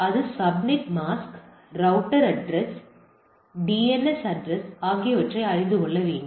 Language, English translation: Tamil, So, subnet mask or router or the gateway address and DNS address and etcetera